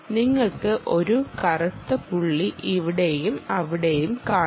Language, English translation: Malayalam, you can see a black spot here, a black spot here and back black spot there